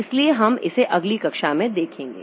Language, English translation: Hindi, So we'll look into this in the next class